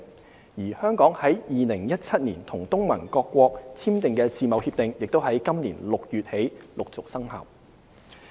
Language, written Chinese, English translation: Cantonese, 至於香港於2017年與東盟各國簽訂的自貿協定，亦已於今年6月起陸續生效。, As for the FTA signed in 2017 between Hong Kong and ASEAN it has gradually come into force since this June